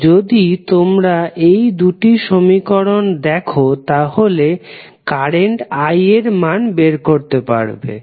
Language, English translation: Bengali, So, if you use these 2 equations you can find the value of current I